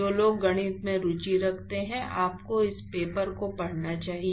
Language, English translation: Hindi, Those who are interested in the math, you should actually read this paper